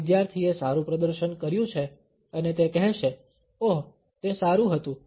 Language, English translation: Gujarati, This student have fared well, and would say, ‘oh, it was good’